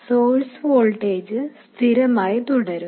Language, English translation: Malayalam, The source voltage will remain fixed